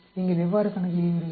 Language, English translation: Tamil, How do you calculate